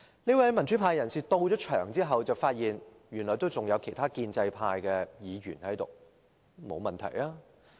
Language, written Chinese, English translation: Cantonese, 這位民主派人士到場後，發現原來還有其他建制派議員在席，這沒有問題。, When the democrat arrived at the meeting place he noted that other Members from the pro - establishment camp were present which was perfectly fine